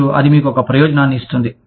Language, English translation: Telugu, And, that gives you an advantage